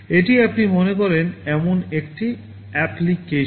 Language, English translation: Bengali, This is one application you think of